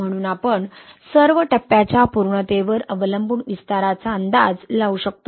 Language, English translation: Marathi, So we all want to predict the expansion depending on the phase completion